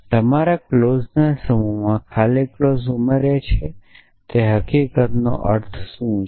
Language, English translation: Gujarati, What is the implication of the fact that you have added empty clause to your set of clauses